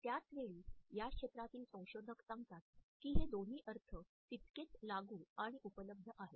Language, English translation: Marathi, At the same time researchers in this area tell us that both these interpretations are equally applicable and available